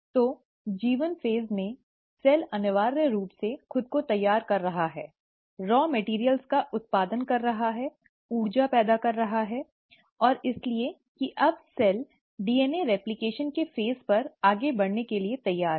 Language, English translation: Hindi, So, in G1 phase, the cell is essentially preparing itself, generating raw materials, generating energy, and, so that now the cell is ready to move on to the phase of DNA replication